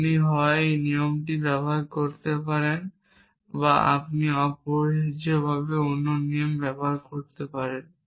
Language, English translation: Bengali, You could either use one rule or you could use another rule essentially